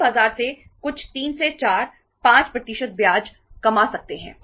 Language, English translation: Hindi, We can earn some 3 to 4, 5 percent of the interest from the market